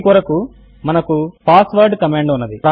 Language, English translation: Telugu, For this we have the passwd command